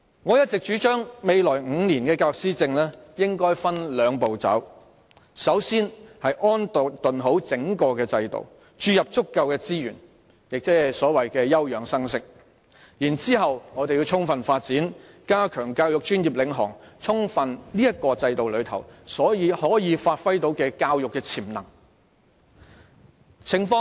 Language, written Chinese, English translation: Cantonese, 我一直主張未來5年的教育施政應分兩步走，首先要安頓整個制度，注入足夠資源，即所謂休養生息，然後我們要充分發展，加強教育專業領航，透過這個制度充分發揮教育潛能。, I have all along suggested that the policy administration in respect of education for the next five years should be a two - step process . First it is necessary to settle the entire system by injecting sufficient resources into it and in other words giving it a respite . Then we should pursue comprehensive development and foster the professional - led principle in education and through this system fully give play to the potentials of education